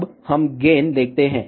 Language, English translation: Hindi, Now, let us see gain